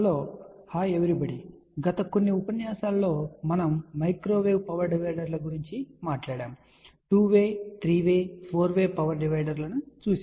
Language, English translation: Telugu, hello everyone in the last few lectures we talked about microwave power dividers where we had seen two way, three way, four way power divider